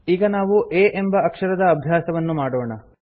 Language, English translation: Kannada, We will now start learning to type the letter a